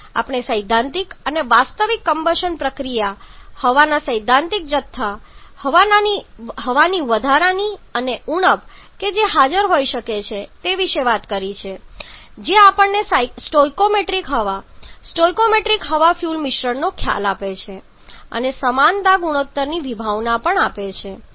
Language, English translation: Gujarati, We have talked about the theoretical and actual combustion process the theoretical quantity of air the excess and deficiency of air that can be present which gives us the concept of stoichiometry air